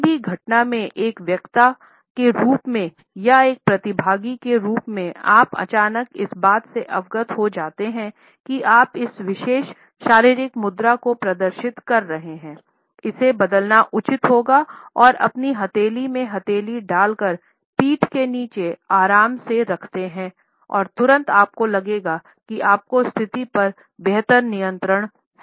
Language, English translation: Hindi, If as a speaker in any event or as a participant you suddenly become aware that you are displaying this particular body posture, it would be advisable to change it to a relaxed palm in pump behind your back gesture and immediately you would feel that you have a better control of the situation